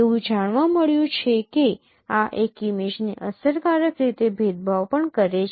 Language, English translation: Gujarati, It has been found this is also efficiently discriminating an image